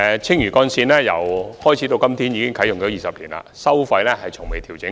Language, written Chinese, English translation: Cantonese, 青嶼幹線啟用至今已20年，其收費不曾調整。, Since its commissioning the Lantau Link has been in use for 20 years with its toll rates unadjusted